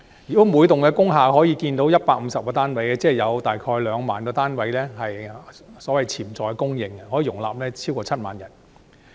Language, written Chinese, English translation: Cantonese, 如果每幢工廈可建150個單位，即有大概2萬個單位的潛在供應，可以容納超過7萬人。, Assuming the conversion of each would yield 150 units the potential supply would be around 20 000 units accommodating over 70 000 persons